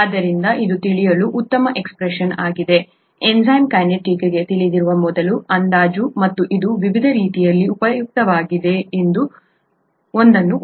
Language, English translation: Kannada, So this is a nice expression to know, the first approximation to know for enzyme kinetics, and it is useful in many different ways, I just mentioned one